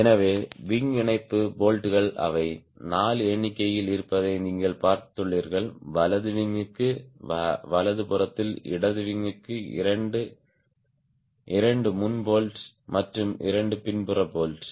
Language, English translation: Tamil, there are four in number: two for left wing, two on the right, on the for the right wing, two front bolts and two rear bolts